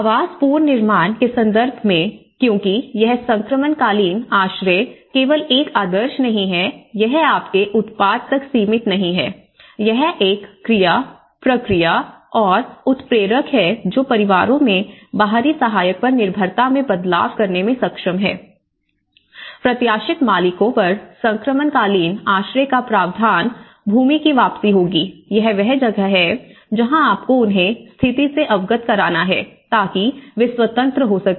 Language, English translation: Hindi, In terms of the housing reconstruction, because this transitional shelter it is not just a norm, it is not narrowed down to your product, it is a verb, it is a process, it is a catalyst to enable families to make a step change from dependency on external assistant, anticipated that the provision of transitional shelter on owners, land would be trigger return, you know that is where this is the process of how you have to make them aware of the situation and so that they can become independent